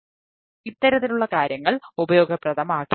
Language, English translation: Malayalam, then this type of things may not be